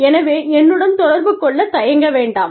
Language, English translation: Tamil, So, feel free, to get in touch, with me